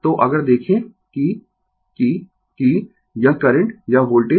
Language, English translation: Hindi, So, if you look into that, that that this current or voltage